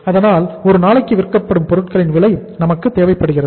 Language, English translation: Tamil, So uh we need the cost of goods sold per day